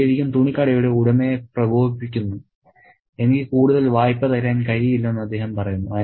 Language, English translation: Malayalam, So, that really riles the clothes shop owner and he says, I cannot give you any further credit